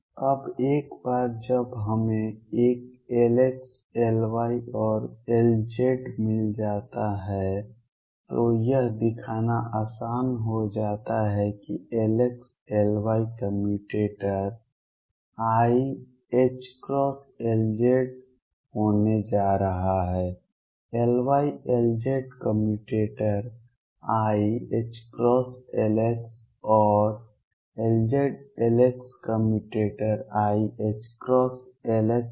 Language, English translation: Hindi, Now, once we have got an L x, L y and L z it is easy to show that L x, L y commutator is going to come out to be i h cross L z, L y L z commutator will come out to be i h cross L x and L z L x commutator will come out to be i h cross L x